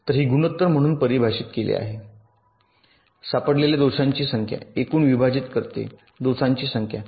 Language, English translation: Marathi, so it is defined as the ratio number of detected faults divide by the total number of faults